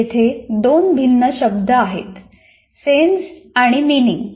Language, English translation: Marathi, There are two words, sense and meaning